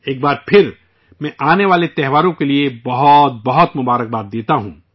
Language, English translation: Urdu, Once again, I extend many best wishes for the upcoming festivals